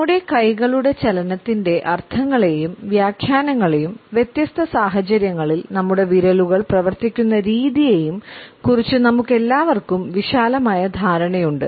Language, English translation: Malayalam, All of us have a broad understanding of the meanings and interpretations of our movement of hands as well as the way our fingers act in different situations